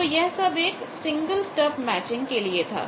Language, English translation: Hindi, So, that is the drawbacks of single stub matching